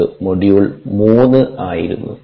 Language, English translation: Malayalam, ok, so that was module three